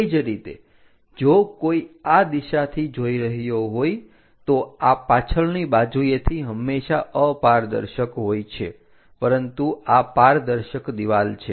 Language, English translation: Gujarati, Similarly, if one is looking from this direction, this one always be opaque on the back side, but this one is transparent wall